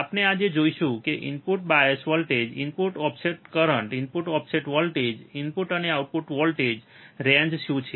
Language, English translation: Gujarati, So, we will see today what are input bias voltage input offset current input offset voltage, input and output voltage range